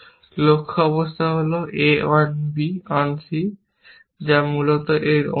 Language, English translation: Bengali, The goal state is a on b on c, which is very similar to that, essentially